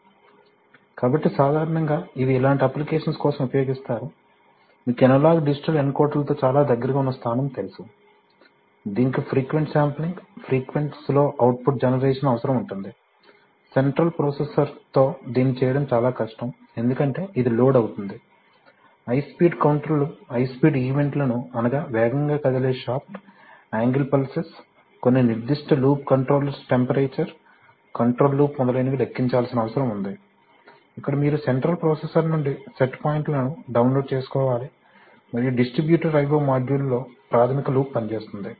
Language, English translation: Telugu, So typically used for applications like, you know very close positioning with analog digital encoders which requires frequent sampling frequent slow output generation, very difficult to do it with the central processor because it will get loaded, high speed counters which needs to count high speed events like, you know fast moving shaft, angle pulses, some specific loop controllers temperature control loop etc where you just need to download the set points from the central processor and the basic loop works on the distributor I/O module